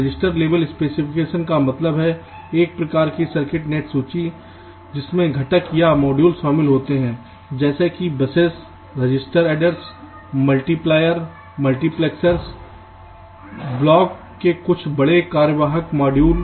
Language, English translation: Hindi, register level specification means ah kind of circuit net list which consist of components or modules like, say, busses, registers, adders, multipliers, multiplexors, some bigger functional modules of blocks